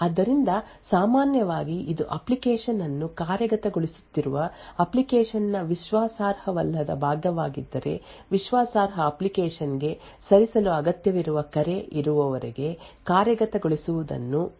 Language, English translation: Kannada, So, when typically, it would be untrusted part of the application which is executing the application would continue to execute until there is a call required to move to the trusted app